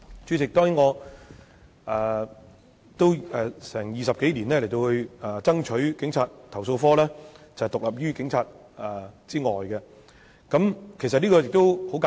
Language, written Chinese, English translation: Cantonese, 主席，過去20多年來，我一直爭取讓投訴警察課獨立於警隊以外，當中的道理其實很簡單。, Chairman over the past 20 odd years I have always been fighting for the independence of CAPO from the Police Force and the reasons behind are actually very simple